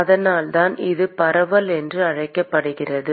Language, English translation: Tamil, And that is why it is called diffusion